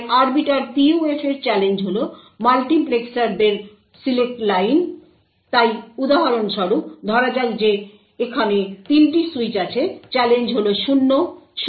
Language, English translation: Bengali, So the challenge in the Arbiter PUF is that the select line of the multiplexers so for example over here considering that there are 3 switches, the challenge is 0, 0 and 1